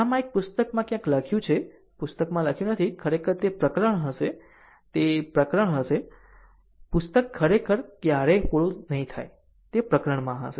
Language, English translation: Gujarati, So, it is where I have written somewhere in this book, book is not written actually it will be chapter, it will be chapter the book will never completed actually so, it will be chapter